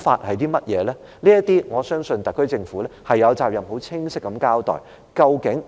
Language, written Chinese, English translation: Cantonese, 我相信就這些問題，特區政府有責任很清晰地交代。, Concerning these questions I think the SAR Government is obliged to give a clear explanation